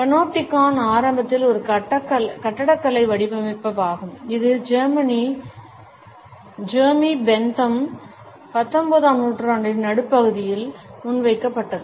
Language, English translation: Tamil, The Panopticon is initially an architectural design which was put forth by Jeremy Bentham in the middle of the 19th century